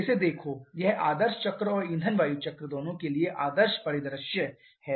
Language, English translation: Hindi, Look at this; this is the ideal scenario for both ideal cycle and a fuel air cycle